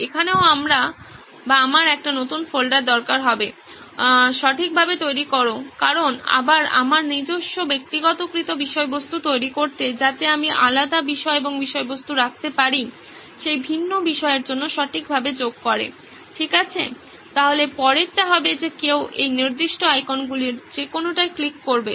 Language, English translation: Bengali, Here also I would need a new folder, create right because again creating my own personalised content here, so I can have a different subject and content for that different subject being added right, okay so the next would be someone clicking on any of this particular icons right